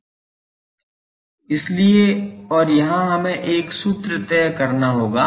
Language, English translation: Hindi, So, and here we will have to fix a formula